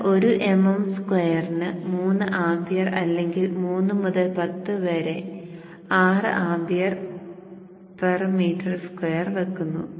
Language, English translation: Malayalam, J, you start with 3 amp per MM square, or 3 to 10 to the power of 6 amp per meter square